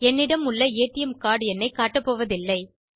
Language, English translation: Tamil, I am not going to show the number of the ATM card that i have